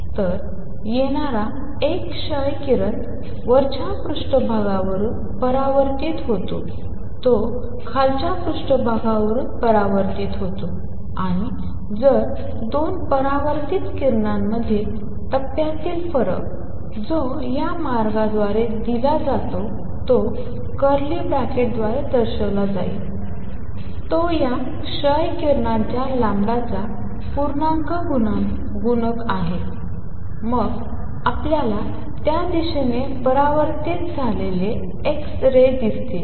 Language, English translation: Marathi, So, an x ray coming in gets reflected from the top surface gets reflected from the bottom surface and if the phase difference between the 2 reflected rays, which is given by this path difference shown by curly bracket is integer multiple of lambda of these x rays, then we would see lot of x rays reflected in that direction